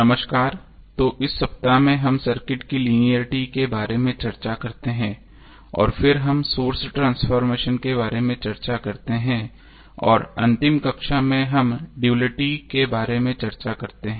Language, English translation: Hindi, Namaskar, So in this week, we discuss about linearity of the circuit and then we discuss about the source transformation and in last class we discuss about duality